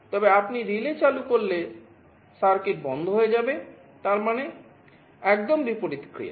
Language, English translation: Bengali, But, when you turn on the relay the circuit will be off; that means, just the reverse convention